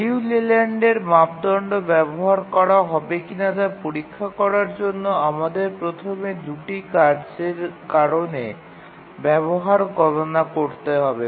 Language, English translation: Bengali, To check that we need to use the Liu Leland criterion and the Leland criterion we first need to compute the utilization due to the two tasks